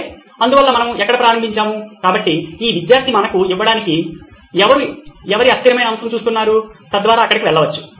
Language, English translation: Telugu, Okay, so that’s where we start, so this student just to give us, who is whom, whose variable are we looking at, so that could go here